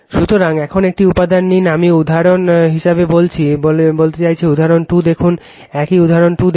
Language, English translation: Bengali, So, now take one example, I mean for example, you please see the example 2, same example 2 you just see